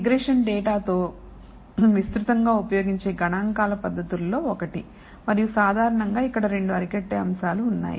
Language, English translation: Telugu, So, regression happens to be one of the most widely used statistical tech niques with data and typically there are 2 curbing concepts here